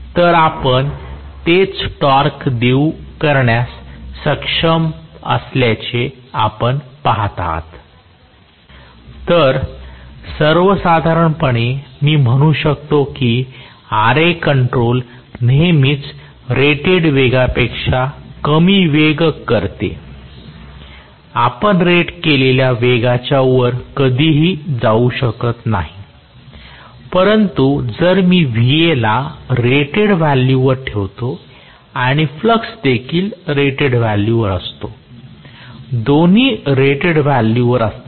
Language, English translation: Marathi, So, in general I can say Ra control will always result is speed less than rated speed, you can never go above the rated speed provided I am keeping Va at rated value and flux is also at rated value, both are at rated value